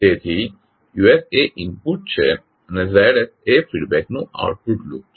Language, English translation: Gujarati, So Us is the input and the Zs is the output of the feedback loop